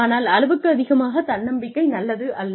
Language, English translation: Tamil, Overconfidence is not good